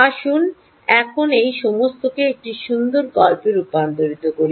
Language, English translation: Bengali, let's now convert all this into a beautiful story